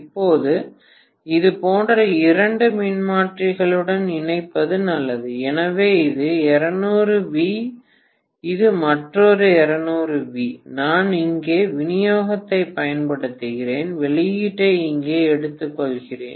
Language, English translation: Tamil, Now it is as good as connecting to two transformers like this, so this is 220 V, this is another 220 V, I am applying the supply here, and I am taking the output here, I hope you understand